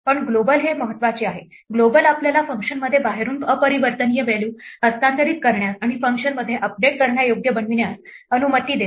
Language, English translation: Marathi, But global is the important one, global allows us to transfer an immutable value from outside in to a function and make it updatable within a function